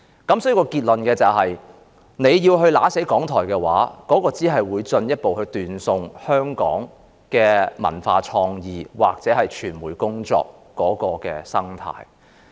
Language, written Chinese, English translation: Cantonese, 所以，我的結論是，如果弄死了港台，只會進一步斷送香港的文化創意或傳媒工作的生態。, So my conclusion is that if RTHK is crushed the ecology of the cultural and creative industries or the work of the media will be further jeopardized